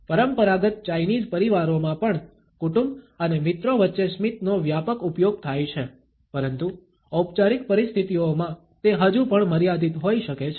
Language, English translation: Gujarati, In traditional Chinese families also, smiling is used extensively among family and friends, but in formal situations it may still be limited